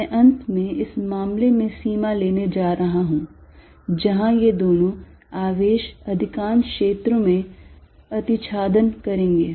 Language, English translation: Hindi, I am finally, going to take the limit in this case, where these two charges will overlap for most of the regions